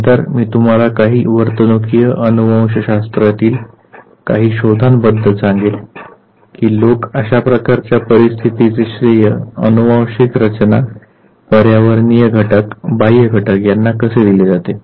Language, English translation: Marathi, And then I will take up certain findings of behavioral genetics to tell you that how is it that people give credit for that type of situation to the genetic makeup as well as to the environmental factors, the external factors